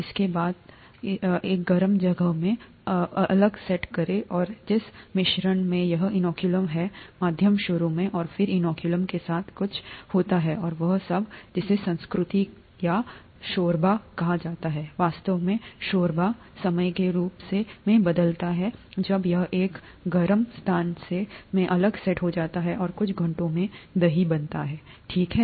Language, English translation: Hindi, Close it, set it aside in a warm place, and the mixture that has this inoculum medium initially, and then something happens with the inoculum, something happens with the medium and all that is called the culture or the broth, in fact the, the broth changes as time goes on when it is set aside in a warm place and curd is formed in a few hours, okay